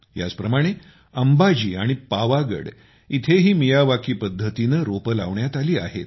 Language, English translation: Marathi, Similarly, saplings have been planted in Ambaji and Pavagadh by the Miyawaki method